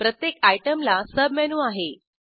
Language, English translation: Marathi, Each item has a Submenu